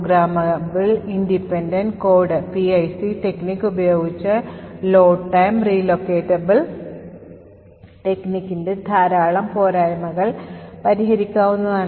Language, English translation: Malayalam, A lot of the disadvantages of the Load time relocatable technique are removed by using PIC or Programmable Independent Code technique